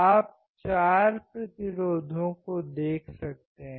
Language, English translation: Hindi, You can see four resistors right